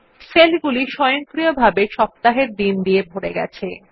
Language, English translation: Bengali, The cells get filled with the weekdays automatically